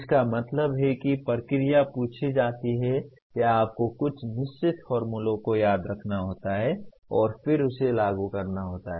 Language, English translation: Hindi, That means the procedure is asked or you have to remember certain sets of formulae and then put that and implement